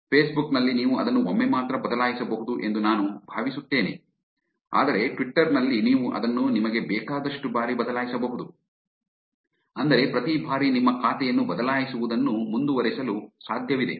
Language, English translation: Kannada, In Facebook I think you can change it only once, but in Twitter you can change it as many number of times you want, which means it's actually possible to keep changing your account every now and then